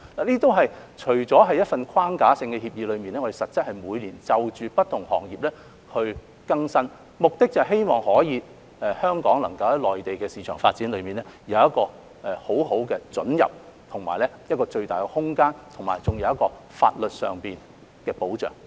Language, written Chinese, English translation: Cantonese, CEPA 除了是一份框架性協議，但實質是我們每年會就不同行業更新，目的是希望香港能夠在內地市場發展有很好的准入，以及有最大的空間，並得到法律上的保障。, CEPA is a framework agreement but actually there will be annual updates in the light of different industries to facilitate the access of Hong Kong enterprises to the Mainland market for development and provide them with the greatest possible room and legal protection